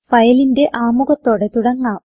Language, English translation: Malayalam, Let us start with the introduction to files